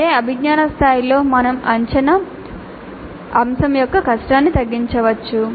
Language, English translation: Telugu, At the same cognitive level we can tone down the difficulty of the assessment item